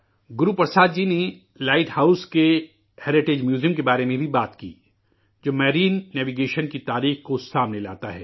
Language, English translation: Urdu, Guru Prasad ji also talked about the heritage Museum of the light house, which brings forth the history of marine navigation